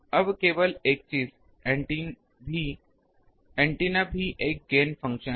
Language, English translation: Hindi, Now, only thing is antenna also has a gain function